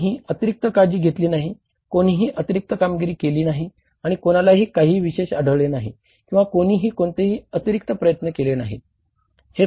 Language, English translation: Marathi, Nobody has taken extra care, nobody has performed extra, nobody has found out anything special or done something extra or made any extra efforts